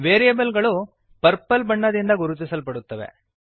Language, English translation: Kannada, Variables are highlighted in purple color